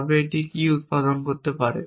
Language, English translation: Bengali, If it can produce so what can it produce